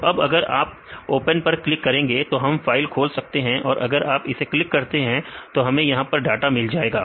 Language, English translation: Hindi, So, in if you click on open, we can open the file if you click this one and we will get this data here